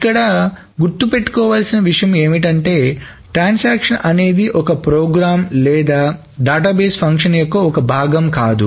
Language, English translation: Telugu, But one thing to remember is that a transaction is not a program or a part of the database